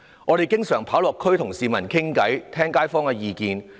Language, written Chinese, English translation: Cantonese, 我們經常落區與市民對話，聽街坊的意見。, We often visit the community to engage people in conversation and listen to their views